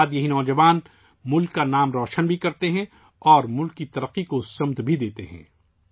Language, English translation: Urdu, Subsequently, these youth also bring laurels to the country and lend direction to the development of the country as well